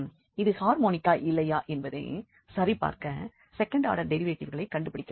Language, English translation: Tamil, So, to check that this is harmonic we have to find the second order derivatives